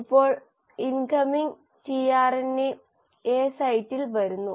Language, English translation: Malayalam, Now the incoming tRNA is coming at the A site